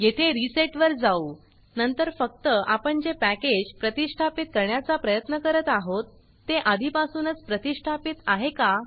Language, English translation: Marathi, And then we will just check whether the packages that we tried to install are already installed